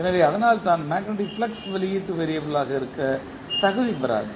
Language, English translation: Tamil, So, that is why the magnetic flux does not qualify to be an output variable